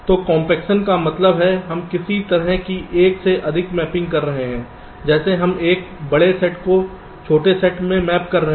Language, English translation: Hindi, so we are doing compaction, ok, so, um, compaction means what we are doing, some kind of a many to one mapping, like we are mapping a large set into a small set